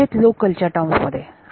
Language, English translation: Marathi, So, this is in terms of local